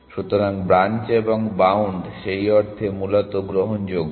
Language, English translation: Bengali, So, branch and bound in that sense is admissible essentially